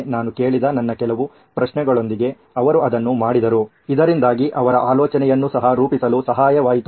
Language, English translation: Kannada, They did it with some of my questions I asked in between, so that helped them structure their thinking as well